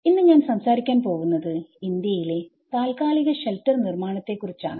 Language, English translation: Malayalam, Today, I am going to talk about temporary shelter construction in India